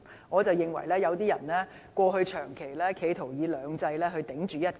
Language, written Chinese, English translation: Cantonese, 我認為有些人過去長期企圖以"兩制"頂着"一國"。, In my opinion some people have long in the past tried to challenge one country with two systems